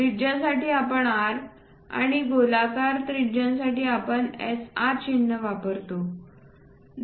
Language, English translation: Marathi, For radius we go with R and for spherical radius we go with SR symbols